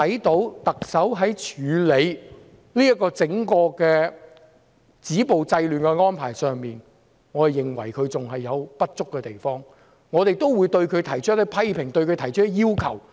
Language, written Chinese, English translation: Cantonese, 特首在整個止暴制亂的安排上，我們認為她還有處理不足的地方，我們會對她提出一些批評和要求。, As far as the overall arrangement to stop violence and curb disorder is concerned we think there is inadequacy on the part of the Chief Executive and we will make some criticisms and raise some requests to her